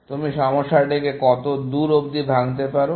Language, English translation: Bengali, Till what extent you break down a problem